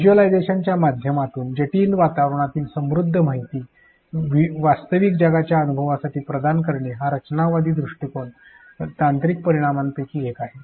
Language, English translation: Marathi, Providing rich real world information of complex environments for real world experience through visualizations is one of the technological implications of the constructivist approach